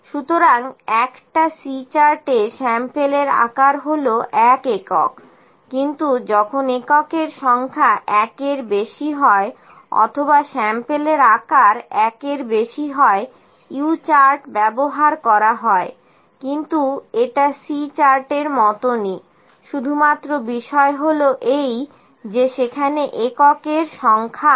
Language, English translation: Bengali, So, with a C chart the sample size is one unit, but when the number of units is more than one or sample size is greater than one U chart is used, but it is similar to C chart only thing is that the number of units are there